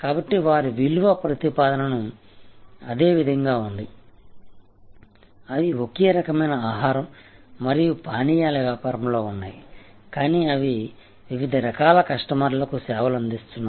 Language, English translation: Telugu, So, their value proposition remains the same, they are in the same kind of food and beverage business, but they serve number of different types of customers